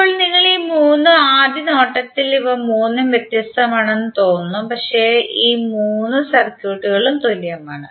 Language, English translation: Malayalam, Now if you see all this three from first look it looks likes that all three are different, but eventually all the three circuits are same